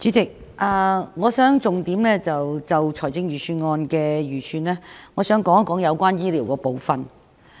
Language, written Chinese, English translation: Cantonese, 主席，我想就財政預算案的預算，重點談談有關醫療的部分。, President with regard to the estimates of the Budget I would like to focus on the part of health care